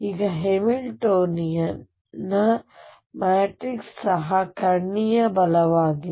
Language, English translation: Kannada, Now the matrix for the Hamiltonian is also diagonal right